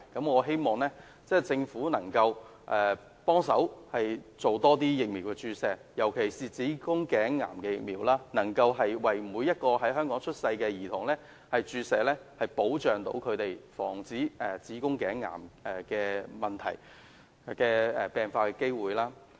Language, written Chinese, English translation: Cantonese, 我希望政府能夠資助更多疫苗注射，尤其是希望能夠為每名在香港出生的女童注射子宮頸癌的疫苗，保障她們的健康及防止子宮頸癌的病發機會。, I hope the Government will provide more funds for vaccination programmes especially vaccination programme for cervical cancer for girls who were born in Hong Kong with a view to safeguarding their health and guarding against the onset of cervical cancer